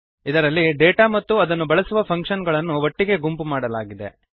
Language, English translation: Kannada, In which the data and the function using them is grouped